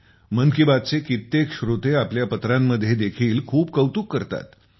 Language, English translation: Marathi, Many listeners of 'Mann Ki Baat' shower praises in their letters